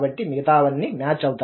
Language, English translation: Telugu, So the rest everything matches